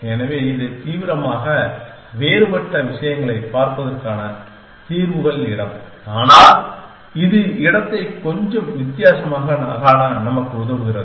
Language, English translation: Tamil, So, that is the solutions space way of looking at things not radically different, but it sort of helps us to visualize the space a little bit different